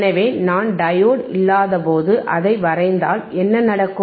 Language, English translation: Tamil, So, if I draw that, when their diode is not there and what will happen